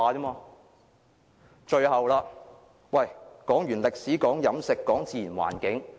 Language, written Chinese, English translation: Cantonese, 我剛剛談過歷史、飲食及自然環境。, I have just talked about our history food and natural environment